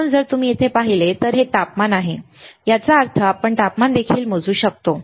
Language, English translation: Marathi, So, if you see here, this is the temperature; that means, we can also measure temperature